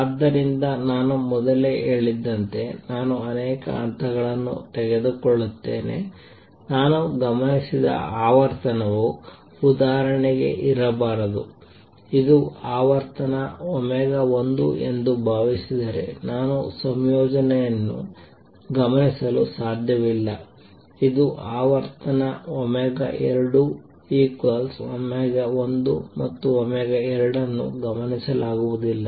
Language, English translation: Kannada, So, as I said earlier suppose I take many many levels, the frequency that I observed cannot be for example, I cannot observe this combination if I take suppose this is frequency omega 1 this is frequency omega 2 omega 1 plus omega 2 is not observed